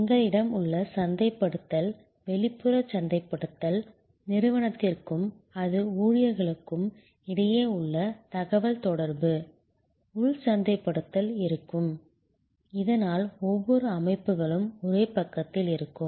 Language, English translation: Tamil, And we will have internal marketing, external marketing, internal marketing of communication between the organization and all it is employees, so that every bodies on the same page